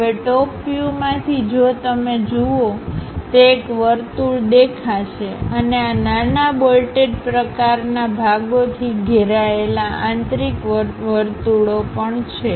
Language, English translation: Gujarati, Now, from top view if you are looking at; it will be having a circle and there are inner circles also surrounded by this small bolted kind of portions